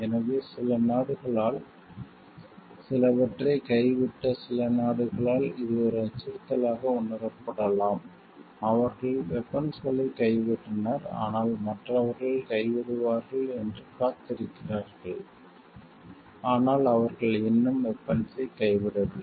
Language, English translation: Tamil, So, it may be perceived as a threat by some countries who have given up some by some countries, who have given up the weapons, but and waiting for the others to give up, but they are still not giving up the weapon